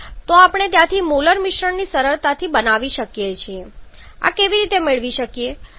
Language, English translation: Gujarati, So, we can easily form the molar combination from there, how we can get this